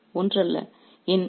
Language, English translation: Tamil, All these are not the same